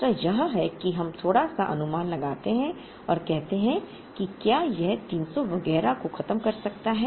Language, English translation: Hindi, The other is we make a slight approximation and say that, can wehandle this 300 and so on